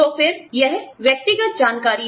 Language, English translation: Hindi, So again, you know, this is personal information